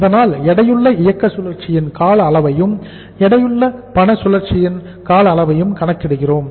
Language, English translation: Tamil, So we are calculating the duration of the weighted operating cycle and the duration of the weighted cash cycle